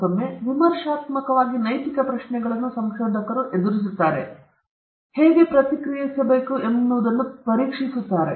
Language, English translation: Kannada, Again, critically examining the ethical questions researchers face and how they ought to respond